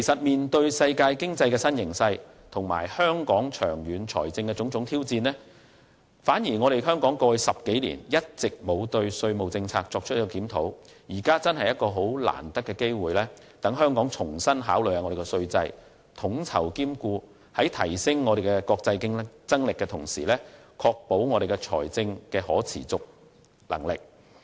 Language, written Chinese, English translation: Cantonese, 面對世界經濟的新形勢和香港長遠財政的種種挑戰，香港在過去10多年反而一直未有檢討稅務政策，現時的確是很難得的機會，讓香港重新考慮稅制，統籌兼顧，在提升國際競爭力的同時，亦能確保財政可持續性。, In the face of new dynamics in the world economy and the long - term fiscal challenges of Hong Kong we have nonetheless not reviewed our tax policy in the past decade or so . Therefore it is indeed an opportune time for Hong Kong to reconsider the tax regime as well as to coordinate and enhance its international competitiveness while ensuring its fiscal sustainability